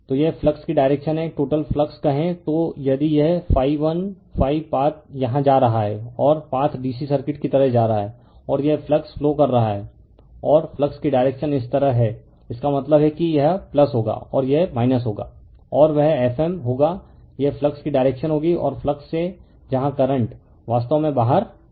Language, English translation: Hindi, So, this is the direction of the flux right, say total flux if it is phi 1 right phi path is going here and path is going like your DC circuit and this is your flux is flowing right the current flows and the direction of the flux is this way; that means, this will be plus and this will be minus and that will be your F m this will do that is a you see the direction of the flux and from flux where your current actually coming out